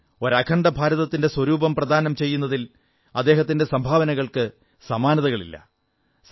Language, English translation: Malayalam, His contribution in giving a unified texture to the nation is without parallel